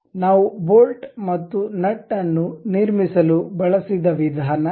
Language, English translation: Kannada, This is the way bolt and nut we constructed